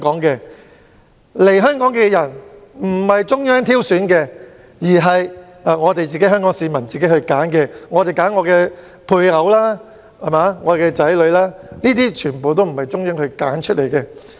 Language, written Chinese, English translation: Cantonese, 所以，來港的人不是由中央挑選，而是香港市民自行選擇的配偶和他們的子女，這些全部不是由中央揀選的。, Hence the new arrivals are not chosen by the Central Authorities; they are the spouses chosen by Hong Kong people and their children . None of them are selected by the Central Authorities